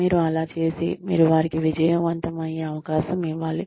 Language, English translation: Telugu, You do that, you give them, opportunity to succeed